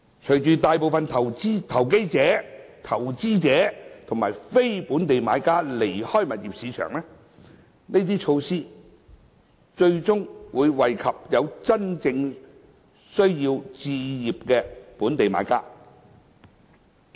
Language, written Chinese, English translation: Cantonese, 隨着大部分投機者、投資者和非本地買家離開物業市場，這些措施最終會惠及有真正置業需要的本地買家。, Local buyers with genuine home ownership needs will eventually benefit from these measures when most speculators investors and non - local buyers are driven out of the property market